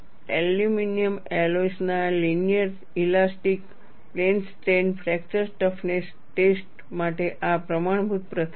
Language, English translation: Gujarati, This is a standard practice for linear elastic plane strain fracture toughness testing of aluminum alloys